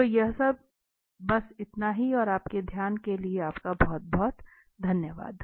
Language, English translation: Hindi, So, that is all and thank you very much for your attention